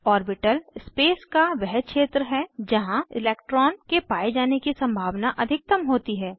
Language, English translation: Hindi, An orbital is a region of space with maximum probability of finding an electron